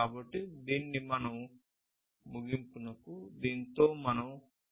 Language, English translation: Telugu, So, with this we come to an end